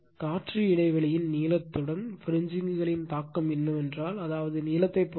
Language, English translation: Tamil, And the effect of fringing increases with the air gap length I mean it is I mean it depends on the length right